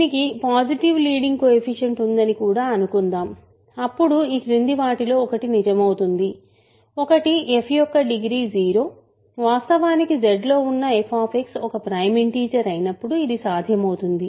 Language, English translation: Telugu, So, suppose also that it has positive leading coefficient then one of the following holds, one is degree of f is 0 this is possible in which case f X which is actually in Z now is a prime integer